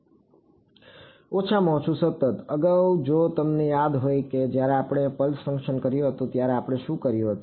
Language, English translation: Gujarati, At least continuous; previously if you remember when we had done the pulse functions what will what did we do